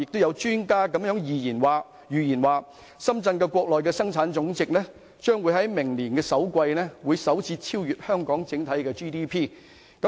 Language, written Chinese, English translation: Cantonese, 有專家預言，深圳的生產總值將於明年首季首次超越香港的 GDP。, An expert has forecasted Shenzhens GDP to surpass Hong Kongs for the first time in the first quarter of next year